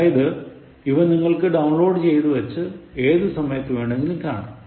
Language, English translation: Malayalam, So, you just download, and you are watching it, the time that you want